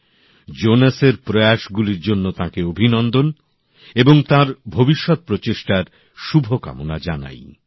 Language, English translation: Bengali, Through the medium of Mann Ki Baat, I congratulate Jonas on his efforts & wish him well for his future endeavors